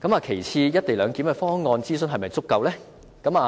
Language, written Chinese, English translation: Cantonese, 其次，"一地兩檢"的方案的諮詢是否足夠呢？, Secondly is there sufficient consultation on the co - location arrangement?